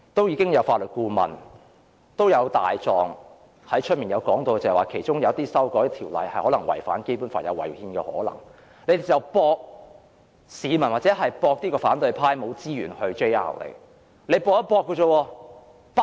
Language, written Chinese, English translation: Cantonese, 已有法律顧問和外聘"大狀"說過，有些條文修訂可能會違反《基本法》，可能會違憲，但建制派賭反對派沒有資源提出司法覆核。, As pointed out by certain legal advisors and outside legal counsel the amendment of certain rules may contravene the Basic Law and is thus unconstitutional but the pro - establishment camp bets that the opposition camp has no resources to initiate a judicial review